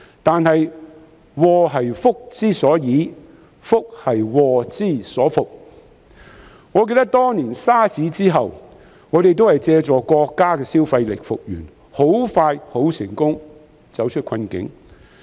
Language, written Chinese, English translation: Cantonese, 但是，"禍兮福之所倚，福兮禍之所伏"，我記得當年 SARS 之後，我們也是借助國家的消費力復原，很快便成功走出困境。, Nevertheless as the saying goes good fortune follows upon disaster disaster lurks within good fortune . As I recall back then after SARS was gone we also recovered by leveraging the consumption power of the country and could quickly and successfully get out of the predicament